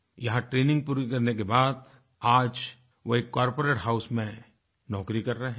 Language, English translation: Hindi, After completing his training today he is working in a corporate house